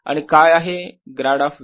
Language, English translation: Marathi, and what is grad of v